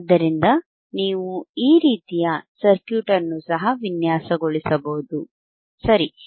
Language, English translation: Kannada, So, you can also design this kind of circuit, right